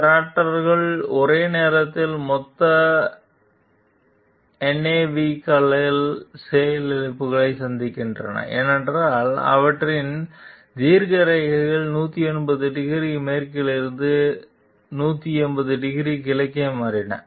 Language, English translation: Tamil, These Raptors suffered simultaneous total nav console crashes as their longitudes shifted from 180 degree west to 180 degree east